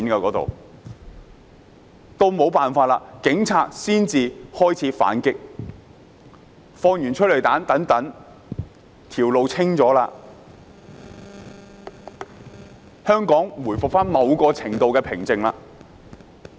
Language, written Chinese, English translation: Cantonese, 警察沒有辦法，才開始反擊，施放催淚彈，清了道路後，香港回復某程度的平靜。, The Police had no alternative but to fight back by firing tear gas rounds . When the roads were cleared there was a certain degree of tranquility